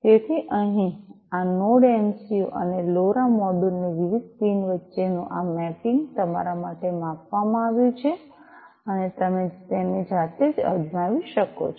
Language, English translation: Gujarati, So, over here this mapping between the different pins of this Node MCU and the LoRa module are given for you, you can try it out yourselves